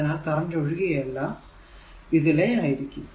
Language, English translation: Malayalam, So, current is flowing like this right